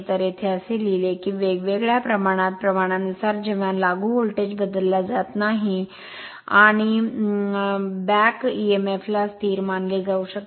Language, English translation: Marathi, So, here it is written that field the the speed inversely proportional to flux, when applied voltage is not changed and back Emf can be considered as constant